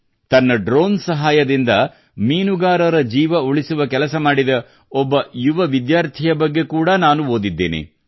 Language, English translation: Kannada, I have also read about a young student who, with the help of his drone, worked to save the lives of fishermen